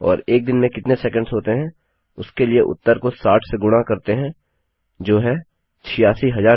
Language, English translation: Hindi, And then multiply the answer by 60 to get the number of seconds in a day which is 86,400